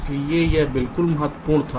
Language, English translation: Hindi, so this was critical at all